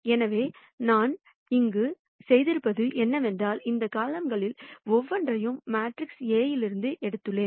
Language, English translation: Tamil, So, what I have done here is, I have taken each one of these columns from matrix A